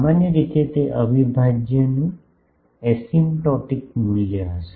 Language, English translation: Gujarati, Generally, that will be the, asymptotic value of the integral